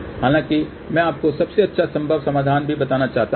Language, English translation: Hindi, However, I want to also tell you the best possible solution